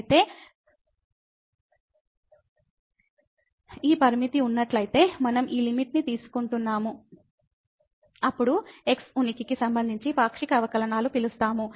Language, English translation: Telugu, So, we are taking this limit if this limit exist, then we call the partial derivatives with respect to x exist